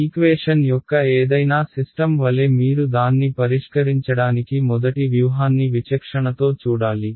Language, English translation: Telugu, As with any system of any equation that you see the first strategy to solve it is to discretize it